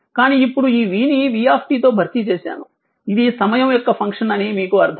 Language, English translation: Telugu, But, now this v is replaced by, it is understandable to you, it is function of time it is understandable to you